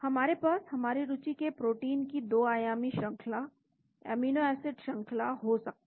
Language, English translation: Hindi, We may have the 2 dimensional sequence, amino acid sequence of the protein of our interest